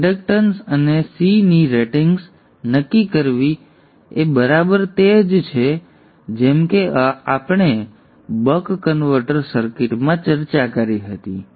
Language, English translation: Gujarati, Deciding the ratings of the inductance in C is exactly same as we had discussed in the buck converter circuit